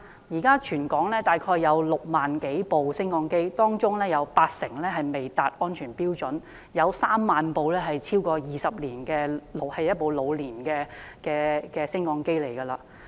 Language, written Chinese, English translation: Cantonese, 現時全港大概有6萬多部升降機，當中八成未達安全標準，有3萬部升降機機齡超過20年，是老年升降機。, About 80 % of the 60 000 - plus elevators throughout Hong Kong fail to meet safety standards and about 30 000 old elevators are more than 20 years old